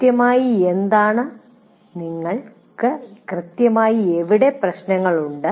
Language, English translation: Malayalam, Where exactly do you have issues